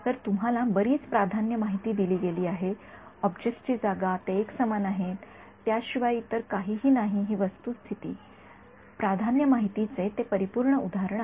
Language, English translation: Marathi, So, a lot of a priori information has been given to you the location of the objects the fact that they are homogeneous and the fact that there is nothing else that is the perfect example of a priori information